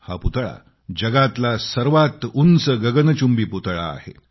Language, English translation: Marathi, This is the world's tallest scyscraping statue